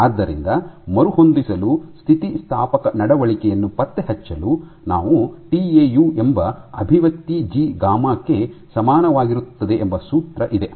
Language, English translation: Kannada, So, for elasticity for tracking elastic behaviour we have the expression tau is equal to G gamma